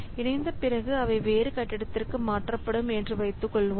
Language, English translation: Tamil, So, after merging, suppose they will be shifted to another building